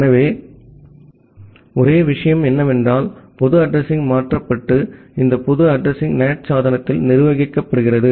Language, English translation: Tamil, So, only thing is that the public address gets changed and these public address are managed by the NAT device